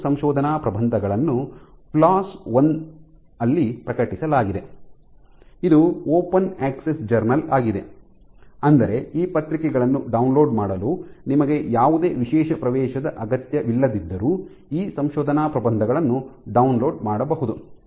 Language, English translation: Kannada, So, both these papers are in; have been published in plus one which is an open access journal which means that you can download these papers anywhere you do not need any special access to be able to download these papers